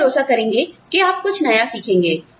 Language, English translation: Hindi, We will trust that, you will learn something, new